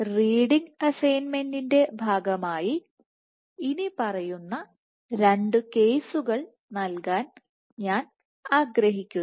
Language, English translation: Malayalam, So, as part of reading assignment I would like to assign the following two case